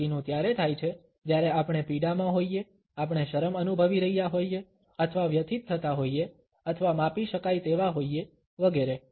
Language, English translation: Gujarati, The rest occurs when either we are in pain, we may feel embarrassed or distressed or measurable etcetera